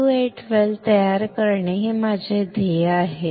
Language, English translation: Marathi, My goal is to form a SU 8 well